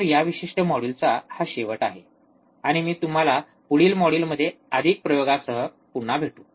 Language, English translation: Marathi, So, this is the end of this particular module, and I will see you in the next module with more experiments